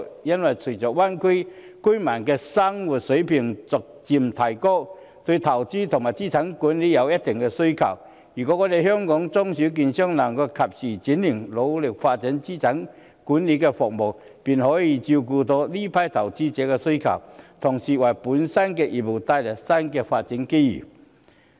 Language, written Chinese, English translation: Cantonese, 因為隨着大灣區居民的生活水平逐漸提高，對投資和資產管理有一定需求，如果香港的中小券商能夠及時轉型，努力發展資產管理服務，便可以照顧這批投資者的需要，同時，為本身的業務帶來新的發展機遇。, Considering the gradual improvement in the living standard of Greater Bay Area residents there will be considerable demand for investment and asset management . If the small and medium securities dealers in Hong Kong can make timely transformation and endeavour to develop asset management services they will be able to cater to the needs of this group of investors and concurrently bring new development opportunities for their business